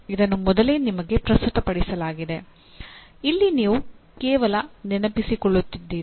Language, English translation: Kannada, It is presented to you earlier, you are remembering